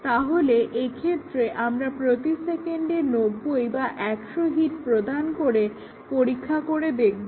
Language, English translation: Bengali, We test here at 90 hits per second, 100 hits per second